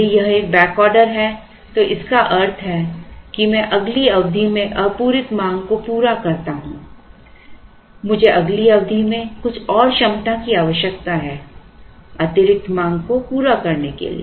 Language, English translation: Hindi, If it is a back ordering which means I carry the demand to the next period I need some more capacity in the next period to meet the additional demand